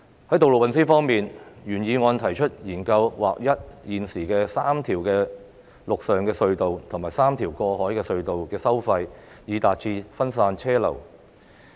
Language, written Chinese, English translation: Cantonese, 在道路運輸方面，原議案提出"研究劃一現時三條陸上隧道及三條過海隧道的收費，以分散車流量"。, On road transport the original motion proposes studying the introduction of standard tolls for the current three land tunnels and three road harbour crossings so as to divert vehicular flows